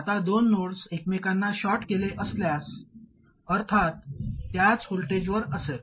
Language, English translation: Marathi, Now if two nodes are shorted to each other, obviously they will be at the same voltage